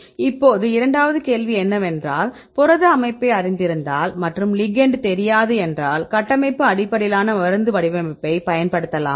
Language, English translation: Tamil, Now, the second question is if we know the protein structure, and we do not know the ligand can we use structural based drug design